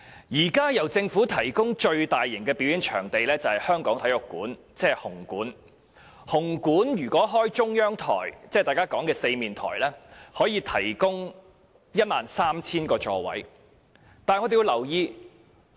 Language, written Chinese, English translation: Cantonese, 現時由政府提供的最大型表演場地是香港體育館，紅館如採用中央台進行表演，可提供 13,000 個座位。, The largest performing venue currently provided by the Government is the Hong Kong Coliseum which has a seating capacity of 13 000 seats if the central stage is used for staging performances